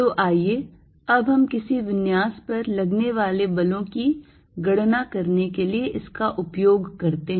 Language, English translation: Hindi, So, now let use this to calculate forces on some configuration